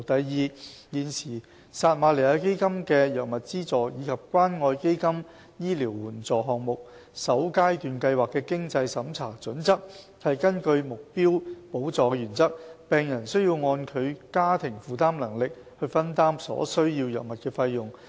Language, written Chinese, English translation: Cantonese, 二現時撒瑪利亞基金的藥物資助及關愛基金醫療援助項目的經濟審查準則，是根據目標補助的原則，病人需要按其家庭負擔能力去分擔所需藥物的費用。, 2 The current financial assessment criteria for drug subsidies under the Samaritan Fund SF and the Community Care Fund CCF Medical Assistance Programme First Phase are based on the principle of targeted subsidy ie . the level of a patients contribution to drug expenses depends on the patients household affordability